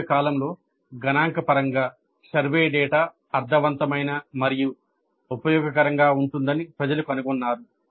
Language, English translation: Telugu, But over a long period people have discovered that by and large statistically the survey data can be meaningful and useful